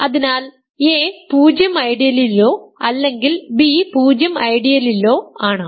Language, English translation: Malayalam, So, a is in the 0 ideal or b is in the 0 ideal ok